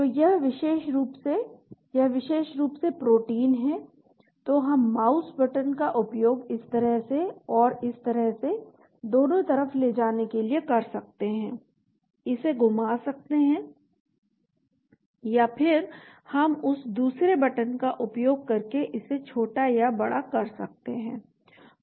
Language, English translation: Hindi, So this particular, yeah this particular protein, so we can use the mouse button to move over both sides this way and this way, rotate it or then we can enlarge it or smaller using that other button,